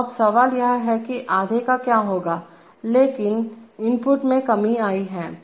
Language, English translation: Hindi, So now the question is that what will happen to the half, but the input has come down